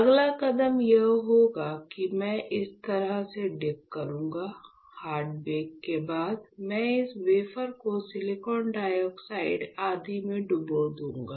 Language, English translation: Hindi, The next step would be I will dip this way of, I will perform hard bake and after hard bake, I will dip this wafer in silicon dioxide etchant